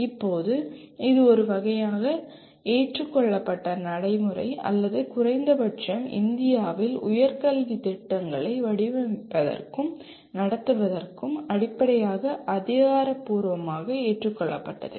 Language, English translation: Tamil, Now it is a kind of a accepted practice or at least officially accepted as the basis for designing and conducting higher education programs in India